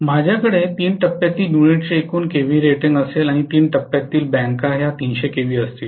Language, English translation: Marathi, I am going to have overall KVA rating of the three phase unit will be or three phase bank will be 300kva